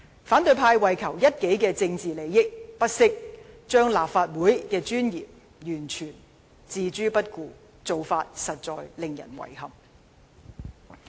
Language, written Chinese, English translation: Cantonese, 反對派為求一己政治利益，不惜將立法會的尊嚴完全置諸不顧，這做法實在令人遺憾。, It is most regrettable that the opposition camp has completely disregarded the dignity of the Legislative Council for the sake of its own political gains